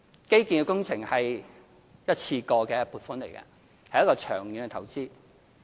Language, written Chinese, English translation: Cantonese, 基建工程是一次過的撥款，是長遠的投資。, In fact infrastructure development is a kind of long - term investment involving funding in one go